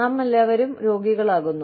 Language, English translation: Malayalam, We all fall sick